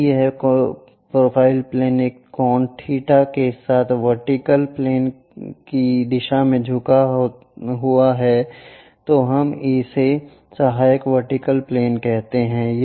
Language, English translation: Hindi, If this profile plane tilted in the direction of vertical plane with an angle theta, we call that one as auxiliary vertical plane